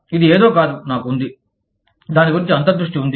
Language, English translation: Telugu, This is not something, that i have, had an insight about